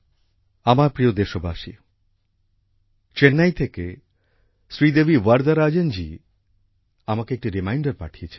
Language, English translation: Bengali, My dear countrymen, Sridevi Varadarajan ji from Chennai has sent me a reminder